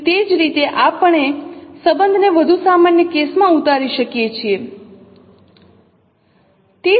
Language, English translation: Gujarati, So that is how we derive the relationship in a more general case